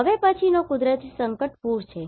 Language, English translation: Gujarati, Now, the next Natural Hazard is Flood